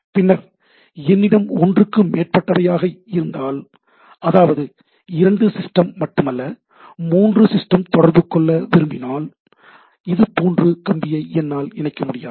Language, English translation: Tamil, And then, if I have more than one, like only not two party, more than more than two parties are communicating with each other, like three systems are there, then I cannot connect this wire like this